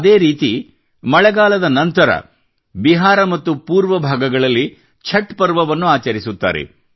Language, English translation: Kannada, On similar lines, after the rains, in Bihar and other regions of the East, the great festival of Chhatth is celebrated